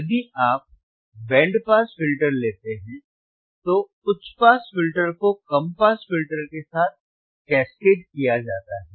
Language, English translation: Hindi, Now, in the band pass filter, we had high pass band pass band pass filters